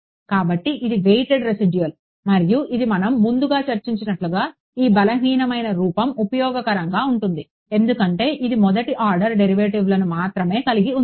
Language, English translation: Telugu, So, this was weighted residual and this is and as we discussed earlier this weak form is useful because it involves only first order derivatives